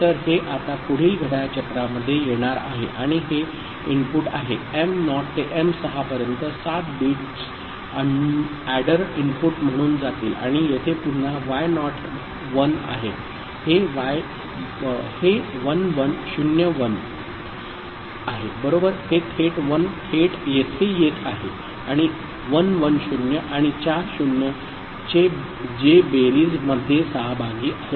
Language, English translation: Marathi, So, this will be now coming here in the next clock cycle and this is the input this m naught to m6 7 bits will go as adder input right and here again y naught is 1 so, this is 1101 right, this 1 is coming directly over here and 110 and four 0’s that is participating in the addition